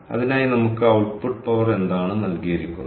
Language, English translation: Malayalam, so for that, ah, we were given what is output power